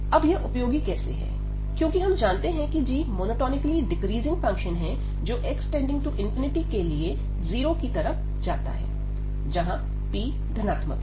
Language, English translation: Hindi, So, how this is useful now, because we know about this g that this is monotonically decreasing to 0 as x approaches to infinity for this p positive